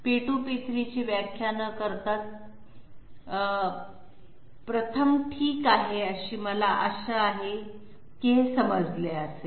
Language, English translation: Marathi, Incorrect without defining P2, P3 first okay I hope this is understood